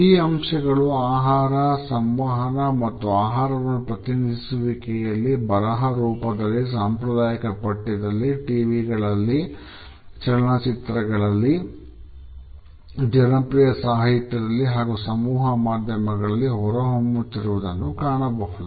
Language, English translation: Kannada, These aspects also clearly emerge in food communication and representation of food, both in written and iconic text, on TV, in movies, in popular literature and mass media